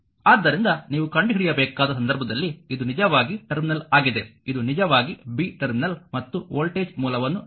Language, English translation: Kannada, So, in that case that you have to find out you have to find this is actually a terminal this is actually b terminal and voltage source is given